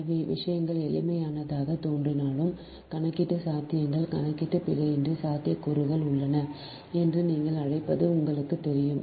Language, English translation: Tamil, so, although looks like things simple, but calculation possibilities, ah, you know, ah, that you are what you call that there is a possibilities of calculation error